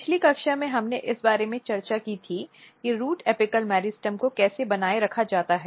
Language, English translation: Hindi, So, in last class what we discussed more towards how root apical meristem is maintained